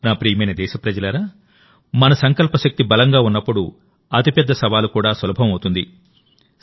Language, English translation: Telugu, My dear countrymen, when the power of our resolve is strong, even the biggest challenge becomes easy